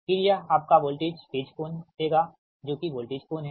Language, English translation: Hindi, then it will give the your voltage phase angle